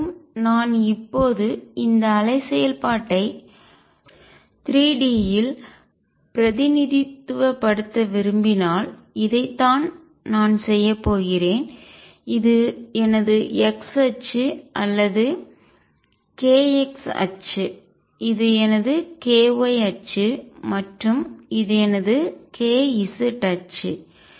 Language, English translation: Tamil, Again if I want to now represent this wave function in 3 d this is what I am going to do this is my x axis or k x axis, this is my k y axis and this is my k z axis